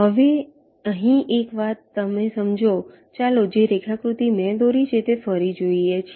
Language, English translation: Gujarati, lets look at this diagram again which i have drawn